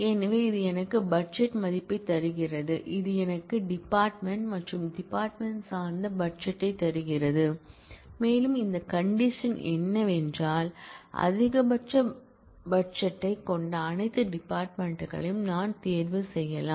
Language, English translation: Tamil, So, this gives me the budget value, this gives me the department and department specific budget, and this condition tells me that I can choose all the departments which has the maximum budget very nice way of using this